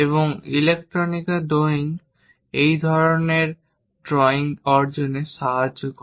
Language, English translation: Bengali, And engineering drawing helps in achieving such kind of drawings